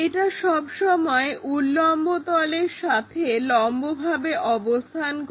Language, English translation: Bengali, This is always be perpendicular to vertical plane